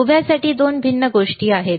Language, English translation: Marathi, For the vertical, there are 2 different things